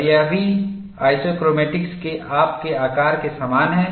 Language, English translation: Hindi, We look at this, something similar to your isochromatics